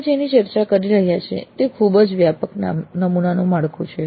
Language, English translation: Gujarati, So what we are discussing is a very broad sample framework